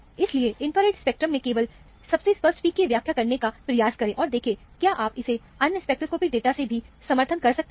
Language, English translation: Hindi, So, try to interpret only the most obvious peaks in the infrared spectrum, and see, whether you can support it from other spectroscopic data also